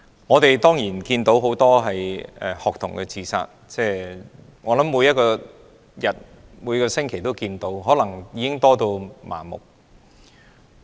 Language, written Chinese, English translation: Cantonese, 我們看到很多學童自殺，差不多每星期都有，可能大家都已有點麻木。, We see the happening of many cases of student suicide almost every week and might have become a bit apathetic